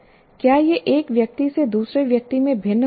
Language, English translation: Hindi, Does it differ from person to person